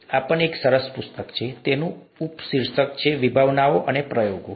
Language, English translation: Gujarati, This is also a nice book; it has a subtitle ‘Concepts and Experiments’